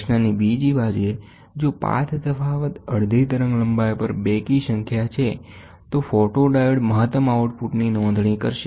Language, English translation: Gujarati, On the other hand, if the path difference is an even number on half wavelength, then the photodiode will register a maximum output